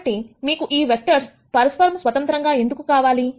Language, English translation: Telugu, So, why do you want these vectors to be independent of each other